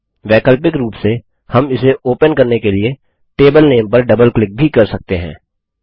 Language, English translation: Hindi, Alternately, we can also double click on the table name to open it